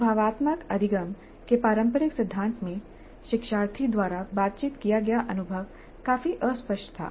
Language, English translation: Hindi, In the traditional theory of experiential learning, the experience negotiated by the learner was quite vague